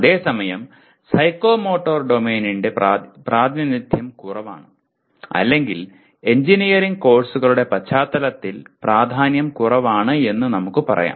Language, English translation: Malayalam, Whereas the nature of psychomotor domain is less dominant or you can say less important in the context of engineering courses